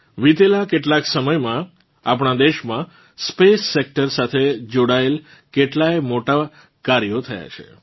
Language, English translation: Gujarati, In the past few years, many big feats related to the space sector have been accomplished in our country